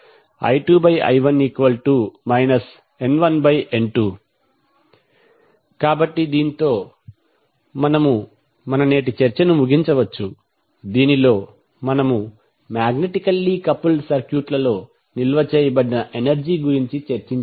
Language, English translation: Telugu, So this we can close our today’s discussion in which we discussed about the energy stored in magnetically coupled circuits